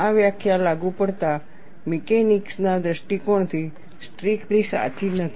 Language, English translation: Gujarati, The definition is not strictly correct from applied mechanics point of view